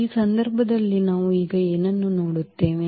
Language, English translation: Kannada, So, what do we see now in this case